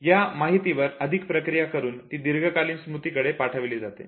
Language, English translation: Marathi, If they are further rehearsed, they pass on to long term memory